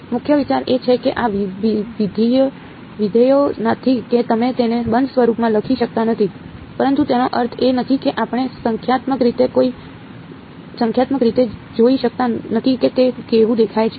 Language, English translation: Gujarati, The main idea is that these functions are not you cannot write them in closed form ok, but that does not mean we cannot numerically see what it looks like